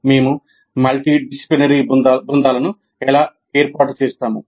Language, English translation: Telugu, And how do we form multidisciplinary teams